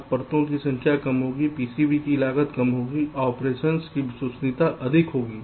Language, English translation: Hindi, now, less the number of layers, less will be the cost of the p c b, more will be the reliability of operation